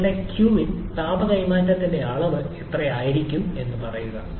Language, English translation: Malayalam, Say how much will be your q in, the amount of heat transfer